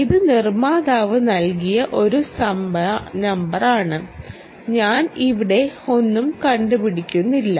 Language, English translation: Malayalam, ok, this is a number given by the manufacturer, i am not inventing anything here